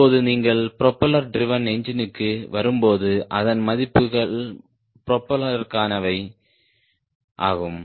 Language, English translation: Tamil, now when you come to propeller driven engine, then the values are for propeller